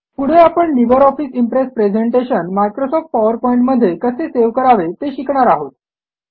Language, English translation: Marathi, Next,lets learn how to save a LibreOffice Impress presentation as a Microsoft PowerPoint presentation